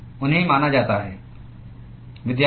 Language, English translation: Hindi, They are supposed to be